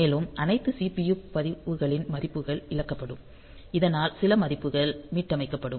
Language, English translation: Tamil, And the values of all the CPU registers will be lost, so that they some of the values will be reset